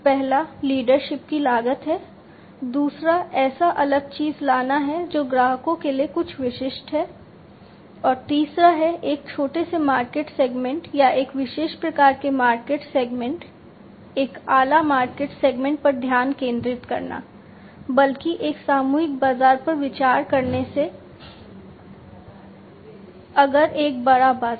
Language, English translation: Hindi, The first one is the cost of leadership, the second thing is the differentiation by bringing something that is unique to the customers, and the third is the focus on a small market segment or a specific type of market segment, a niche market segment, rather than considering a mass market, if you know a bigger market